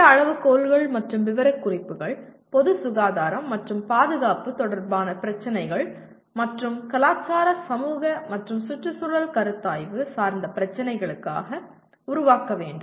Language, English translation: Tamil, These criteria and specification should be developed taking issues related to the public health and safety and the cultural, societal and environmental consideration